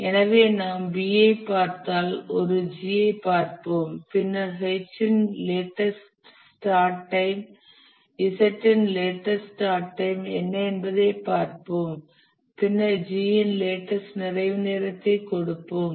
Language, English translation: Tamil, So if we look at B, let's look at G, then we look at what is the latest start time of X, and then we set the latest start time of Z and then we set the latest completion time of G